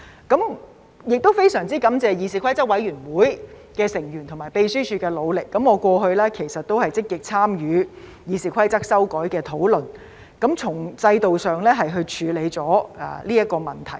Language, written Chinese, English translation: Cantonese, 我亦非常感謝議事規則委員會成員和秘書處的努力，我過去其實也有積極參與《議事規則》修改的討論，從制度上處理這個問題。, I am very grateful to CRoP members and the Secretariat for their hard work . In the past I played an active role in the discussions about amendments to RoP with a view to addressing the issue from an institutional perspective